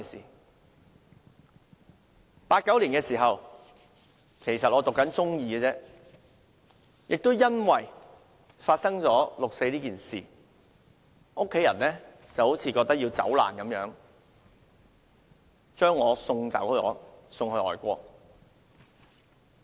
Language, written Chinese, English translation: Cantonese, 在1989年，當時我只是唸中二，由於發生六四事件，家人好像要走難般把我送到外國。, In 1989 I was only in Secondary Two and in the wake of the 4 June incident my family sent me overseas like making an escape from a disaster